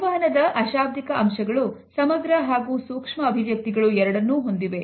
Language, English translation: Kannada, Nonverbal aspects of communication have macro as well as micro expressions